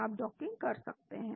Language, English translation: Hindi, You can do docking